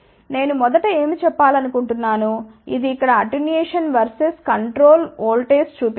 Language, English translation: Telugu, I just want to first tell what this is it shows here attenuation versus control voltage